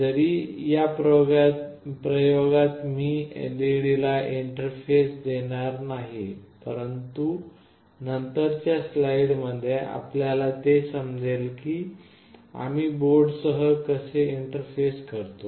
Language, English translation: Marathi, Although in this experiment I will not interface the LED, but in subsequent slides you will find how do we interface it with the board